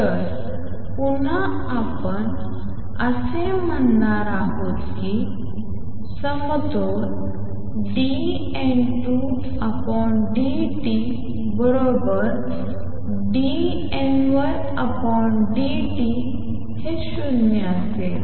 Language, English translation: Marathi, So, again we are going to say that at equilibrium dN 2 by dt is equal to dN 1 by dt is going to be 0